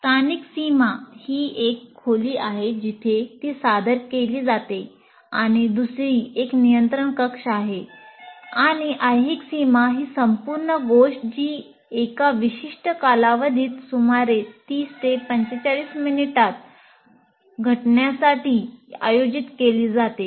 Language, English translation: Marathi, Spatial boundary is the room where it's being presented and the other one is a control room where that is a spatial boundary and temporal boundary is the whole thing is organized to happen within a certain time period